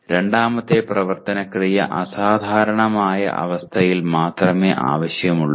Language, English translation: Malayalam, Second action verb is necessary only in exceptional condition